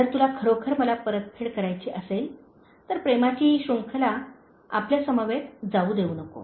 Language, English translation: Marathi, If you really want to pay me back, do not let this chain of love end with you